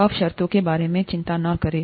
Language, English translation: Hindi, Do not worry about the terms as of now